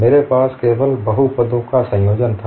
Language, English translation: Hindi, I had only combination of polynomials